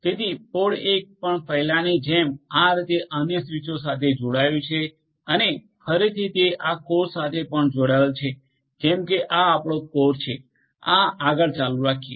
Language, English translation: Gujarati, So, pod 1 also like before is going to be connected to other switches in this manner right and again it also will be connected to these core so, this is your core so, like this is going to continue